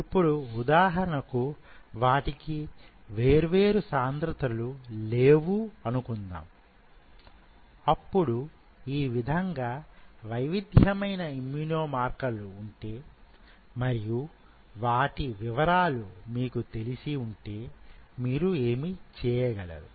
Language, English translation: Telugu, Now say for example, they do not have different densities to follow, then if they have different kind of immune markers, something like this and you have an idea that these are the immune markers which are present there